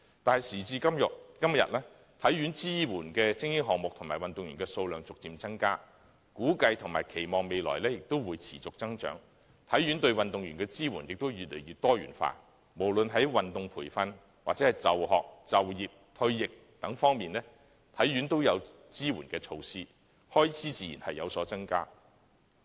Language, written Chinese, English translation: Cantonese, 但是，時至今日，體院所支援的精英項目及運動員數目逐漸增加，估計及期望未來亦會持續增長，而體院對運動員的支援也越來越多元化，無論在運動培訓或就學、就業、退役等方面，體院均設有支援措施，開支自然有所增加。, Today however the number of elite sports and athletes supported by HKSI has seen gradual growth and is estimated and expected to continue to grow in the future . Meanwhile the support offered by HKSI for athletes has become more and more diversified . Since support measures are provided in such areas as sports training education employment retirement and so on the relevant expenditure will naturally increase